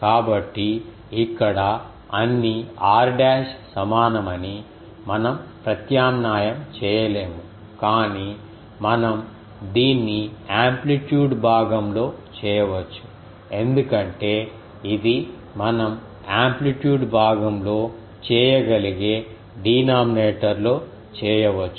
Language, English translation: Telugu, So, that is why we cannot substitute that all r dash are equal here, but we can do this in the amplitude part because this will come in the amplitude part in the denominator we can do